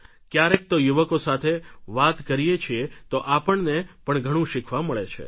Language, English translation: Gujarati, Sometimes when we talk to the youth we learn so many things